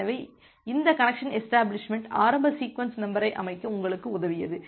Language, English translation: Tamil, So, this connection establishment it has helped you to set the initial sequence number